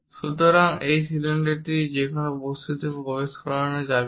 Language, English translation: Bengali, So, this cylinder cannot be entered into that object